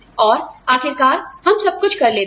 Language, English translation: Hindi, And eventually, we end up doing everything